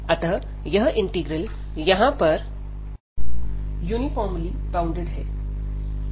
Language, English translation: Hindi, So, these integrals here are uniformly bounded